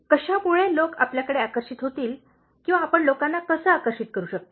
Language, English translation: Marathi, What will make people attracted towards you or how can you attract people